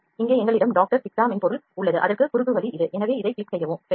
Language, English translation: Tamil, Here we have doctor Picza software this is the shortcut for that, so we will click on this